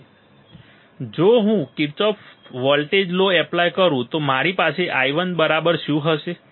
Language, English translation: Gujarati, Now, if I apply Kirchhoff’s voltage law, what will I have i 1 equal to i 1 equal to